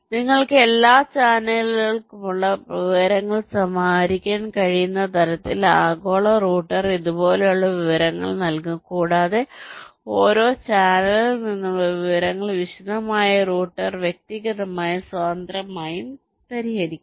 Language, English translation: Malayalam, the global router will give information like this, from where you can compile information for every channel and the information from every channel will be solved in individually and independently by the detailed router